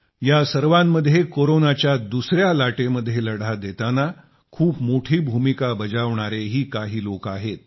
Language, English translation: Marathi, Amidst all this, there indeed are people who've played a major role in the fight against the second wave of Corona